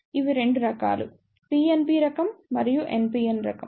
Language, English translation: Telugu, It is of 2 type; PNP type and NPN type